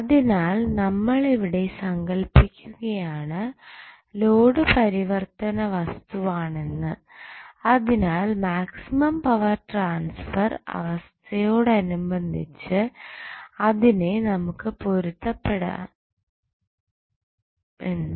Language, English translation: Malayalam, So, what we are assuming here is that the load is variable, so, that we can tune the load in accordance with the maximum power transfer condition